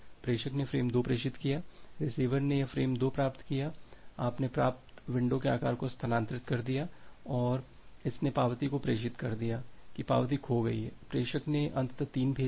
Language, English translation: Hindi, The sender has transmitted frame 2 receiver has receive this frame 2 shifted its receiving window size and it has transmitted the acknowledgement that acknowledgement got lost, the sender has finally sent 3